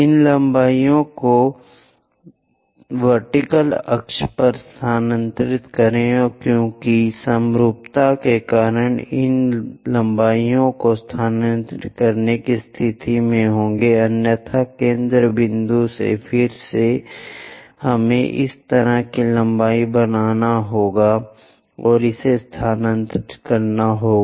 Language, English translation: Hindi, Transfer these lengths on the vertical axis because of symmetry we will be in a position to transfer these lengths, otherwise from focal point again we have to make such kind of lengths and transfer it